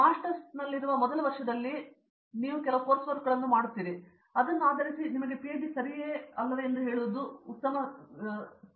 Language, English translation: Kannada, In the masters, in the first year you will undergo lot of different course work at whether MS or M Tech and based on that you will be in a better position to tell okay PhD is for me